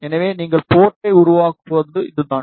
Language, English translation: Tamil, So, this is how you will create the port